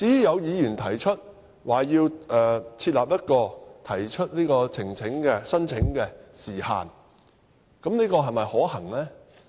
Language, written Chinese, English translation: Cantonese, 有議員提議設立提出聲請的時限，但這又是否可行呢？, Some Members propose that a time limit for lodging non - refoulement claims should be set . But is it practical?